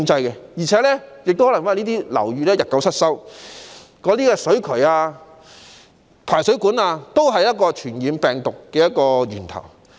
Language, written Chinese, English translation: Cantonese, 而且，由於樓宇日久失修，以致水渠或排水管成為傳播病毒的源頭。, Besides due to poor upkeep of age - old buildings sewage or drainage pipes have turned into the main source of disease transmission